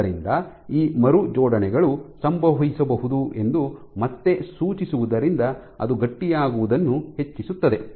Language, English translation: Kannada, So, suggesting again that there are these rearrangements which can happen which can drive this increase in stiffening